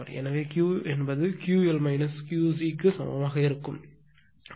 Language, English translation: Tamil, So, Q l minus Q c is equal to 205